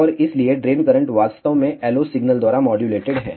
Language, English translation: Hindi, And hence, the drain current is actually modulated by the LO signal